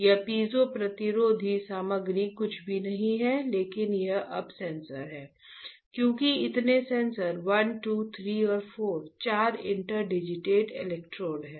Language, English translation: Hindi, This piezoresistor, piezoresistor material is nothing, but these are the sensors now, because how many sensors 1 2 3 and 4 there are four interdigitated electrodes